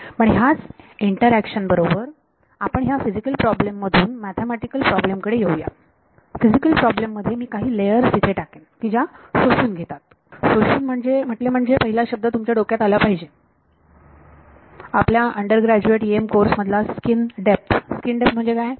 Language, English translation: Marathi, So, and let us go take the intuition from the physical problem to the mathematical problem physical problem I put some layer over here which absorbs; absorbs means the first word that should hit your mind from your undergrad EM courses skin depth what is skin depth